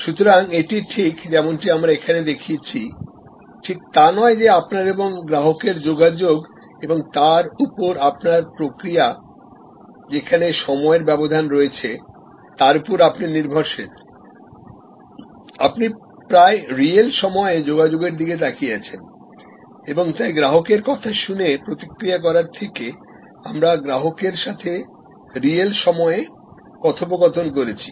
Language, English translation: Bengali, So, it is not exactly as we showed here that you are not dependent on time lag communication with time lag, you are looking at communication almost in real time and therefore, from listening to customers we are moving to dialogue with the customers